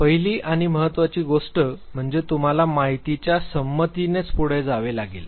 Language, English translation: Marathi, The first and the important thing is that you have to go ahead with informed consent